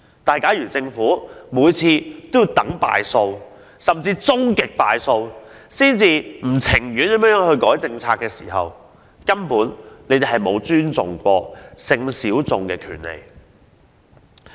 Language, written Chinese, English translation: Cantonese, 不過，如果政府每次皆要在敗訴甚或終極敗訴後才老不情願地修改政策，這便反映出政府根本沒有尊重性小眾的權利。, But if the Government always waits until it loses a case or even a final appeal before it reluctantly revises its policies it will only show that it simply does not respect the rights of sexual minorities